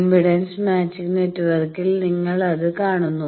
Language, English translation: Malayalam, You see that in the impedance matching network